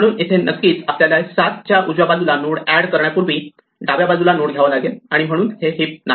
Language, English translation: Marathi, So, we should have a node here to the left of 7 before we add a right child therefore, this is not a heap